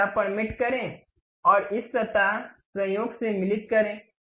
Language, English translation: Hindi, Mate this surface and this surface, coincident